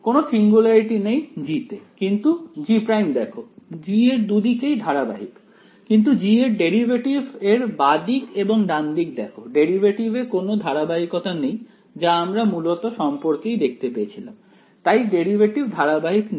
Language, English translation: Bengali, There is no singularity in G, but look at G prime G on both sides it is continuous, but look at the derivative of G on the left hand side and the derivative of G on the right hand side; the discontinuity is in the derivative right which we sort of saw in this relation, the derivative was discontinuous ok